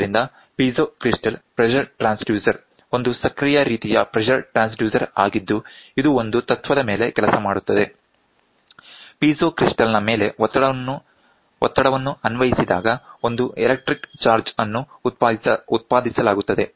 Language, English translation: Kannada, So, the piezo crystal pressure transducer is an active type of pressure transducer, which works on the principle when the pressure is applied on a piezo crystal an electric charge is generated